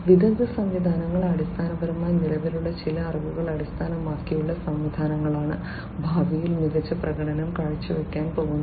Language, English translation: Malayalam, Expert systems are basically the ones where based on certain pre existing knowledge the systems are going to perform better in the future